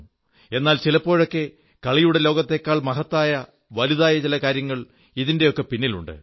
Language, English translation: Malayalam, But, at times, in the background, there exist many things that are much higher, much greater than the world of sports